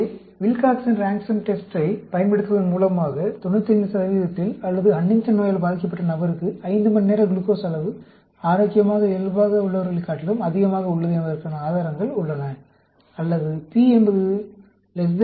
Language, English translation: Tamil, So, using the Wilcoxon Rank Sum Test, we have evidence to suggest that the 5 hour glucose level for individual with Huntington disease is greater than that for the healthy controls at 95 percent, or p is equal to less than 05